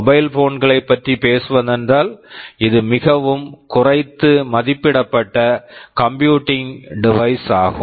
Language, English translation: Tamil, Talking about mobile phones this is a very underestimated computing device